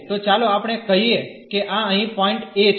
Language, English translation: Gujarati, So, let us say this is the point a here